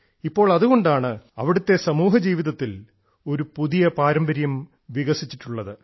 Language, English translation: Malayalam, Now that is why, a new tradition has developed in the social life there